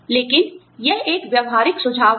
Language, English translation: Hindi, But, it is a practical suggestion